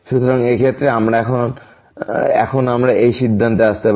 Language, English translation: Bengali, So, in this case now we can conclude this